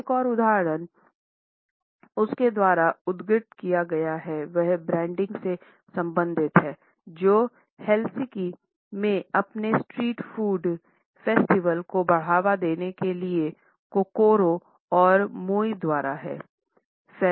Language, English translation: Hindi, Another example which has been cited by her is related with the branding by Kokoro and Moi to promote their street food festival in Helsinki